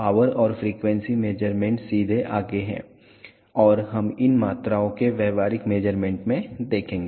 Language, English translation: Hindi, The power and frequency measurements are straight forward and we will see these in the practical measurement of these quantities